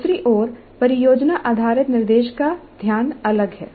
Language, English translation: Hindi, On the other hand the project based instructions focus is different